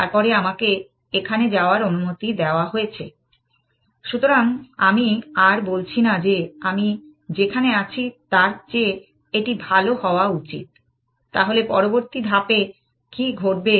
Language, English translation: Bengali, Then I am allowed to move here that is allowed, because I am no longer saying that, it should be better than what I am in, what will happen in the next step